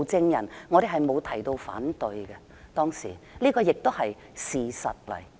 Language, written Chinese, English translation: Cantonese, 當時我們沒提出反對，這也是事實。, We did not object to it . That was also the fact